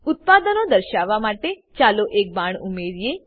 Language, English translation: Gujarati, To show the products, let us add an arrow